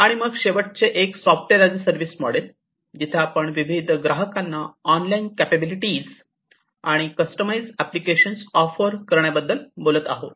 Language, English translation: Marathi, And then the last one is the software as a service model, where we are talking about offering online capable a capabilities and customized applications to different customers